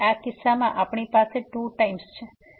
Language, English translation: Gujarati, So, in this case we have this 2 times